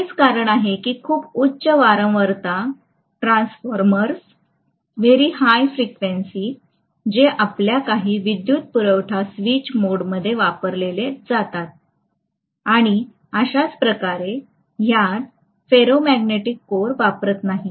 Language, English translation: Marathi, That is the reason why very high frequency transformers which are used in some of your switched mode power supplies and so on, they will not use a ferromagnetic core